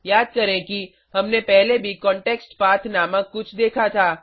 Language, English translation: Hindi, Recall that we had come across something called ContextPath earlier